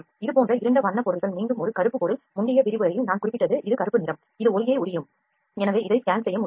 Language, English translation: Tamil, Those are and also dark color objects like this is a black object again the similar thing that I have mentioned in the previous lecture this is black color and that would observe the light so this cannot be scanned